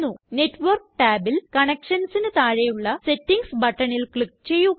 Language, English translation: Malayalam, Within the Network tab, under Connections, click on the Settings button